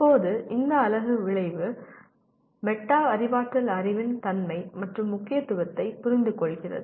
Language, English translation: Tamil, Now this unit the outcome is understand the nature and importance of metacognitive knowledge